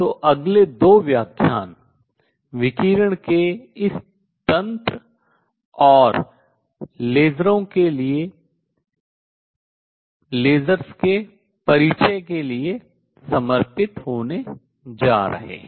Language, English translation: Hindi, So, next 2 lectures are going to be devoted to this mechanism of radiation and place introduction to lasers